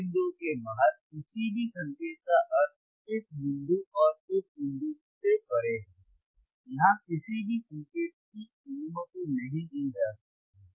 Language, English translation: Hindi, aAny signal outside these points means withbeyond this point, and this point, no signal here can be allowed